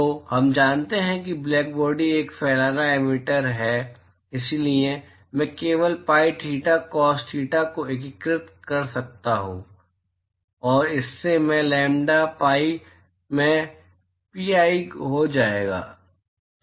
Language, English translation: Hindi, So, we know that black body is a diffuse emitter therefore, I can simply integrate the sin theta cos theta, and that will lead to there will be pi into I lambda, p